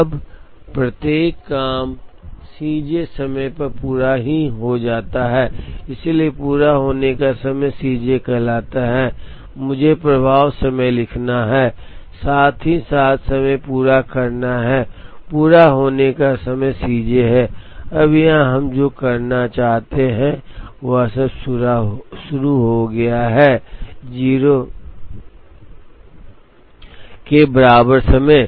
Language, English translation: Hindi, Now, each job is completed at time C j, so the completion time is called C j, let me write flow time, as well as completion time, completion time is C j, now here what we want to do is all of them start at time equal to 0